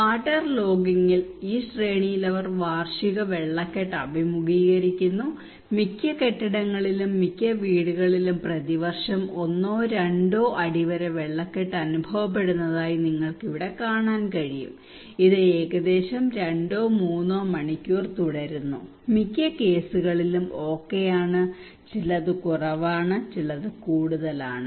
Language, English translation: Malayalam, In waterlogging, they were facing annual waterlogging in these series, and you can see here that most of the building most of the houses they face this one to two feet waterlogging annually and it continues for around two to three hours most of the cases okay, some are less some are more like that